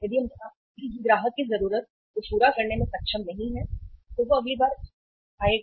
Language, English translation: Hindi, If we are not able to serve the customer’s need he will come next time